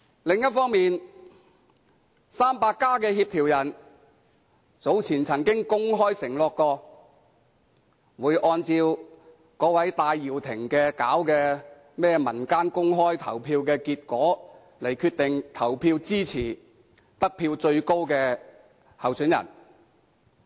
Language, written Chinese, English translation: Cantonese, 另一方面，"民主 300+" 的協調人早前曾公開承諾，會按照戴耀廷組織的"民間全民投票"的結果，決定投票支持得票最高的候選人。, On the other hand the coordinator of the Democrats 300 has publicly pledged earlier that they have decided to vote for the candidate getting the highest votes in the PopVote organized by Mr Benny TAI